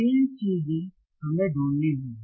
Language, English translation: Hindi, Three things we have to find